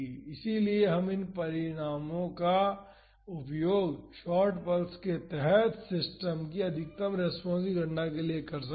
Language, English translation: Hindi, So, we can use these results also to calculate the maximum response of a system under short pulses